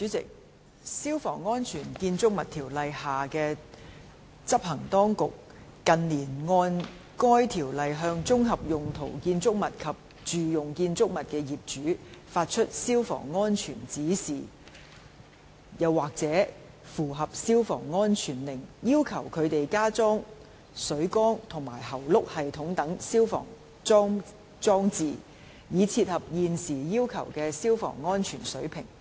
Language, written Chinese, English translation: Cantonese, 主席，《消防安全條例》下的執行當局，近年按該條例向綜合用途建築物及住用建築物的業主，發出消防安全指示或/及符合消防安全令，要求他們加裝水缸和喉轆系統等消防裝置，以切合現時要求的消防安全水平。, President in recent years the enforcement authorities under the Fire Safety Buildings Ordinance have issued under that Ordinance Fire Safety Directions Directions orand Fire Safety Compliance Orders Orders to owners of composite and domestic buildings requiring them to install fire service installations such as water tanks and hose reel systems in order to meet the fire safety standards currently required